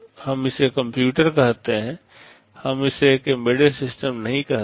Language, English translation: Hindi, We call it a computer, we do not call it an embedded system